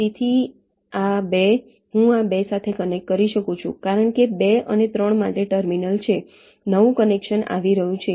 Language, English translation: Gujarati, so two, i can connect to this two because there is a terminal for two and three